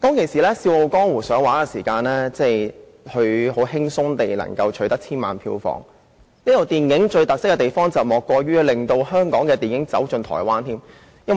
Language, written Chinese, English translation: Cantonese, "笑傲江湖"當年上映時，輕鬆取得千萬票房，而這齣電影的最大特色，莫過於令香港電影打進台灣。, It easily made more than 10 million in the box office and its greatest achievement was that it made its way into the Taiwan market